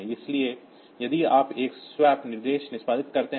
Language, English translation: Hindi, So, if you execute a swap instruction